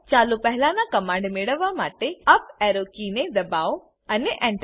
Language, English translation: Gujarati, Press the up arrow key to get the previous command and Press Enter